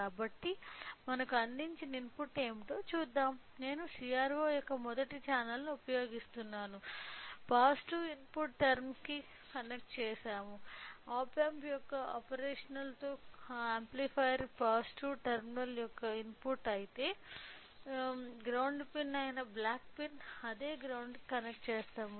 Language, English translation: Telugu, So, let us to understand what is the input we are provided what I will does it I will use the first channel of CRO will be connected to the positive the input term; input of operational amplifier positive terminal of op amp whereas, the other the black pin which is a ground pin is connected to the same ground